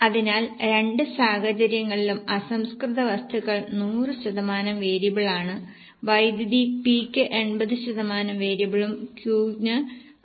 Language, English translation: Malayalam, So, raw material is 100% variable in both the cases, power is 80% variable for P and 60% variable for Q and so on